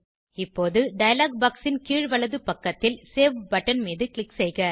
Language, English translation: Tamil, Now, click on the Save button at the bottom right of the dialog box